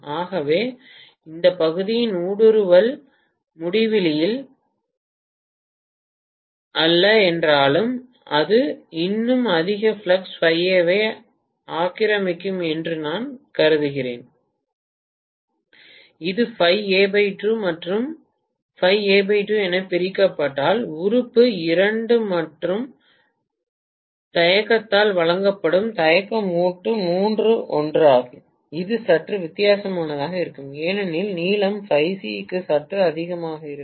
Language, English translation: Tamil, So I am assuming that although the permeability of this portion is not infinity, so clearly maybe this will occupy more flux phi A, phi A if it is divided into phi A by 2 and phi A by 2, I should assume that the reluctance offered by limb 2 and limb 3 are the same, it may be slightly different because the lengths are a little higher for phi C